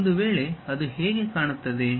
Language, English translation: Kannada, If that is the case how it looks like